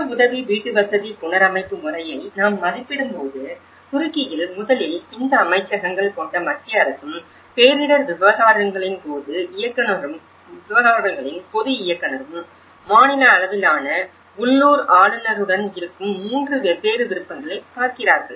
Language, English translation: Tamil, When we assess the self help housing reconstruction method, we see that in Turkey first of all the central government which these ministries and the general director of disaster affairs and with the local governor of the state level, they look at the 3 different options